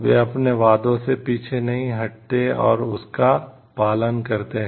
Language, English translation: Hindi, They do not walk out from their promises and follow it